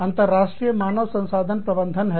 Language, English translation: Hindi, This is international human resource management